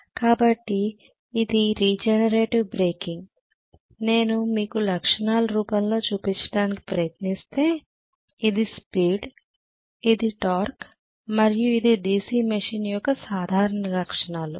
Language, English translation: Telugu, So this is regenerator breaking, if I try to show you in the form of characteristics this is the speed, this is the torque and this is going to be my normal characteristics of the DC machine right